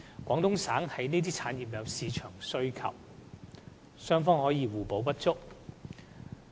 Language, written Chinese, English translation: Cantonese, 廣東省對這些產業有市場需求，雙方可互補不足。, There is a great market demand for these industries in Guangdong so they can play a complementary role here